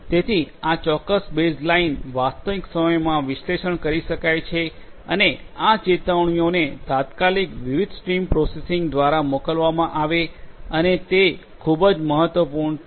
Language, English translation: Gujarati, So, certain baseline real time analytics could be performed and it is also very important to instantly send these alerts through different stream processing and so on